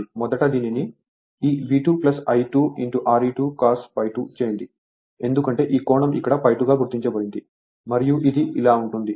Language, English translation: Telugu, First you make it like this V 2 plus this one is I 2 R e 2 cos phi 2 because this angle is marked here phi 2 right and this going like this